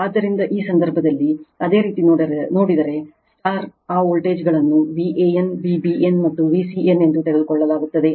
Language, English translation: Kannada, So, in this case if you look into that that voltage V a n, V b n, and V c n is taken